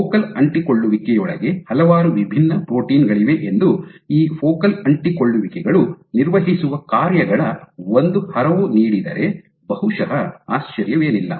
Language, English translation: Kannada, So, it is perhaps not surprising that given the gamut of functions that these focal adhesions perform, that there are so many different proteins present within a focal adhesion